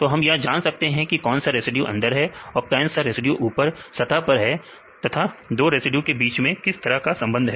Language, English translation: Hindi, So, which residues are interior and which residues are at the surface and which type of interactions these residues can make